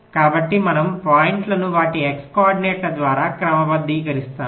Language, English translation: Telugu, so we sort the points by their x coordinates